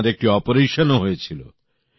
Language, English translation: Bengali, Have you had any operation